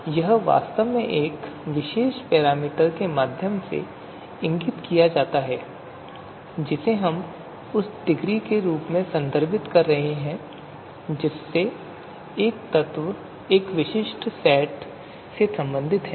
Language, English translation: Hindi, So it is actually indicated through a you know particular parameter which we are calling as referring as degree to which an element belongs to a specific set